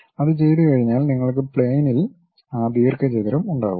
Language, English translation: Malayalam, Once it is done you will have that rectangle on the plane